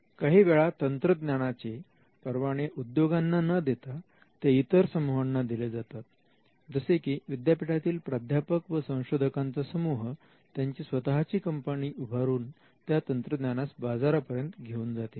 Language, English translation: Marathi, Now, in cases where the invention is not licensed to an industry rather there are group of people probably a team of professors and researchers, who now want to set up their own company and then take it to the market